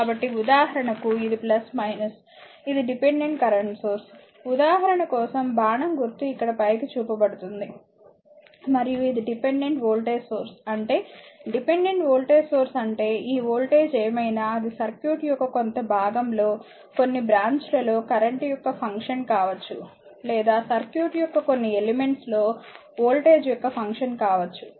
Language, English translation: Telugu, So, for example, this is plus minus this is dependent current source right an arrow is shown upward here right just for the purpose of example and this is your dependent voltage source; that means, dependent voltage source means this voltage whatever it is it may be function of current in the some part of the your some branch of the circuit or may be a function of some voltage across some elements of the circuit